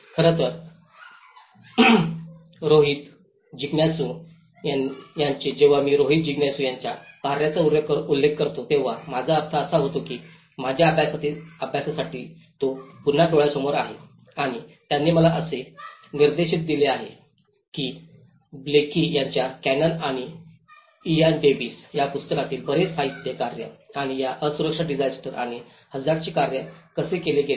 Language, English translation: Marathi, In fact, Rohit Jigyasu’s, when I referred with that Rohit Jigyasu’s work, I am mean that is an again and eye opener for my study where, he have given me a direction that a lot of literature from Blaikie’s work, Canon and Ian Davis work and how these vulnerability disaster and hazard have been worked out